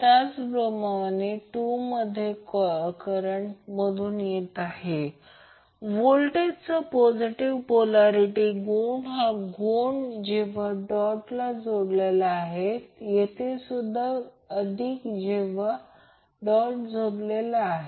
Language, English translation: Marathi, Similarly in the coil 2 current is entering the dot and the positive polarity of the voltages when where the dot is connected here also the positive where the dot is connected